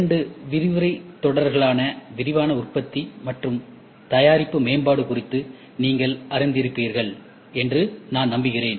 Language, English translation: Tamil, I am sure the two lecture series whatever we saw on rapid manufacturing and product development, you would have gone through it